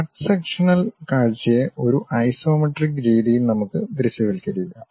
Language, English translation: Malayalam, Let us visualize cut sectional view in the isometric way